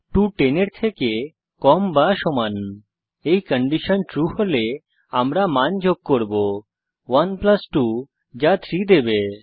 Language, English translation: Bengali, 2 is less than or equal to 10, if the condition is true then we will add the values, (i.e ) 1 plus 2 which will give 3